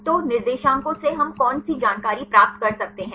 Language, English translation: Hindi, So, what are the information we can obtain from the coordinates